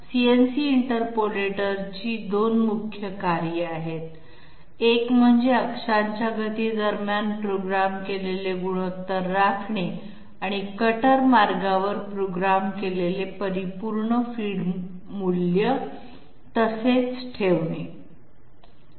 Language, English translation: Marathi, The 2 main the 2 functions of CNC interpolator is, 1 to maintain programmed ratios between axes speeds and to maintain the programmed absolute feed value along the cutter path